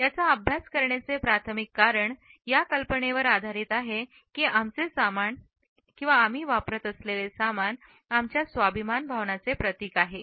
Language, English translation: Marathi, The primary reason for taking up these studies is based on this idea that our accessories symbolize our sense of self respect